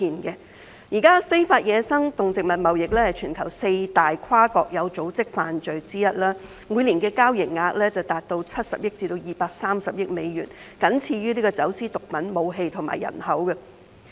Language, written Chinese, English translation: Cantonese, 現時，非法野生動植物貿易是全球四大跨國有組織罪行之一，每年的交易額達70億至230億美元，僅次於走私毒品、武器和人口。, Currently illegal wildlife trade is one of the top four transnational organized crimes globally after drugs arms and human trafficking with an annual turnover of US7 billion to US23 billion